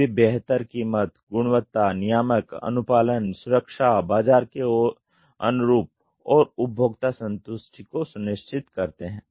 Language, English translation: Hindi, Now it is assure the best cost, quality, reliability, regulatory compliance, safety, time to market, and customer satisfaction